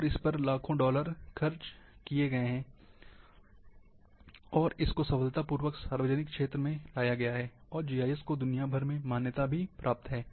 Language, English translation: Hindi, And tens of millions of dollars have been spent, successfully putting into the public domain, the GIS, is recognized worldwide